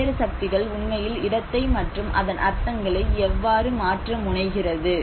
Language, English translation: Tamil, How different forces can actually alter and transform the space and it can also tend to shift its meanings